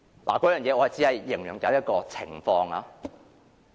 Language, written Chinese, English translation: Cantonese, 我只是舉例來形容這種情況。, I am just making an analogy to describe such a situation